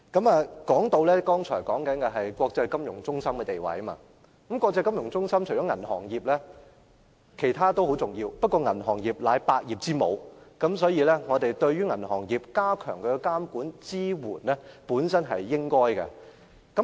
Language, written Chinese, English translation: Cantonese, 我剛才談到本港作為國際金融中心的地位，國際金融中心除了銀行業外，其他行業同樣重要，但銀行業是百業之母，所以我們加強對銀行業的監管和支援是應該的。, As an international finance centre not only the banking industry is important other industries are also important . Yet the banking industry is the mother of all trades . Hence it is proper to step up our monitoring and support of the banking industry